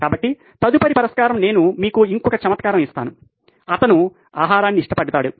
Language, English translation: Telugu, So, next solution say I give you one more quirk that he has is, he loved food